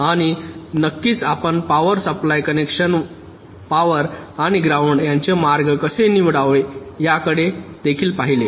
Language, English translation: Marathi, and of of course, you also looked at how to route the power supply connections, power and ground